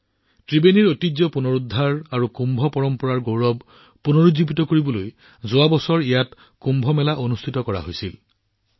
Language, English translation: Assamese, Kumbh Mela was organized here last year to restore the cultural heritage of Tribeni and revive the glory of Kumbh tradition